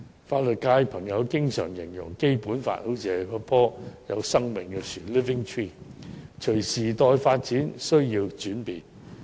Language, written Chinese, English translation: Cantonese, 法律界朋友經常形容《基本法》是一棵有生命的樹木，需要隨着時代發展而轉變。, Members of the legal sector often describe the Basic Law as a living tree that needs to evolve with the development of the times